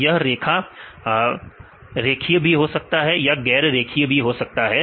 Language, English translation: Hindi, This line can be linear or this can be non linear